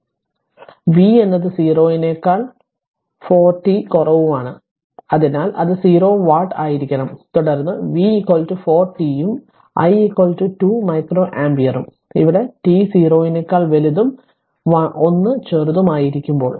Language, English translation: Malayalam, So, v is 0 4 t less than 0, so it should be 0 watt and then v is equal to 4 t right and i is equal to 2 micro ampere by what you call 2 micro ampere here it is written for t greater than 0 less than 1